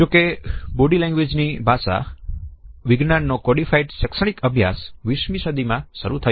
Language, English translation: Gujarati, However the codified academic study into the science of body language has started only in the 20th century